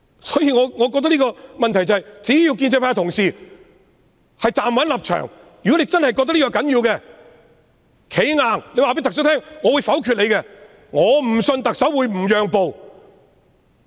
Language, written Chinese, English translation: Cantonese, 所以，我覺得問題是，只要建制派同事站穩立場，如果你們真的覺得這是要緊的，便"企硬"告訴特首：我會否決你的財政預算案。, Therefore in my view as long as Honourable colleagues of the pro - establishment camp hold firm to their stand if they really find this important they should stand firm and tell the Chief Executive I will vote down your Budget